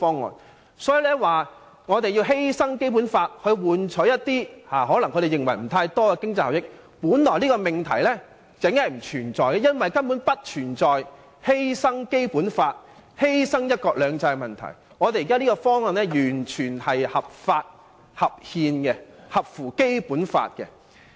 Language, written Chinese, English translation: Cantonese, 因此，反對派說甚麼要犧牲《基本法》換取一些他們可能認為並不算多的經濟效益的命題本來就不存在，因為現時根本不存在犧牲《基本法》或犧牲"一國兩制"的問題，我們現在這個方案完全是合法、合憲、合乎《基本法》的。, Therefore the opposition camps argument of sacrificing the Basic Law in exchange for the not so much economic benefits as they may say is invalid because there is absolutely no issue of sacrificing the Basic Law or the one country two systems . The current proposal is entirely lawful constitutional and consistent with the Basic Law